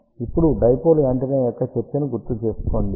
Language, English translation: Telugu, Now, recall the discussion of a dipole antenna